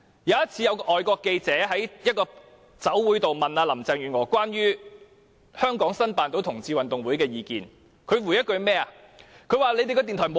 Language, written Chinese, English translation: Cantonese, 有一次，港台記者在酒會上問林鄭月娥關於香港成功申辦同志運動會的意見，她怎麼回應呢？, On one occasion when a reporter of RTHK asked Carrie LAM at a reception for her views on Hong Kong having successfully bid for the right to host the Gay Games how did she respond?